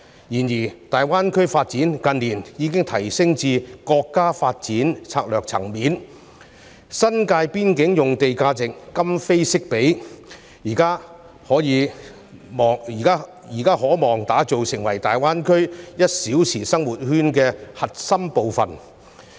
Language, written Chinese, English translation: Cantonese, 然而，大灣區發展近年已提升至國家發展策略層面，新界邊境用地的價值今非昔比，現時可望打造成為大灣區 "1 小時生活圈"的核心部分。, However in recent years the development of GBA has escalated to the level of a national development strategy . The prices of land along the border of the New Territories can hardly be compared with those in the past and currently and it is hoped that such land will be developed as the core of the one - hour living circle of GBA